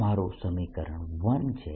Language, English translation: Gujarati, that is one equation i have